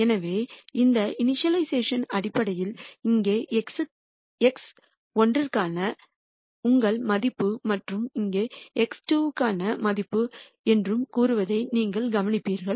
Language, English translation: Tamil, So, you would notice that this initialization basically says here is your value for x 1 and here is a value for x 2